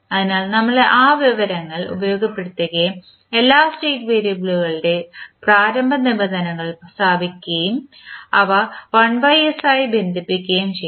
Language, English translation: Malayalam, So, we will utilized that information and we will put the initial conditions of all the state variable and connect them with 1 by s